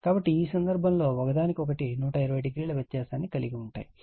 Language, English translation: Telugu, So, in this case you have 120 degree apart from each other